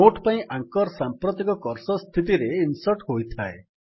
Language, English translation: Odia, The anchor for the note is inserted at the current cursor position